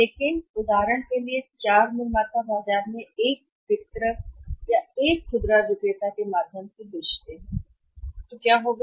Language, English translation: Hindi, But for example this 4 manufacturers sell through one distributor sell through one distributor or the retailer in the market so what will happen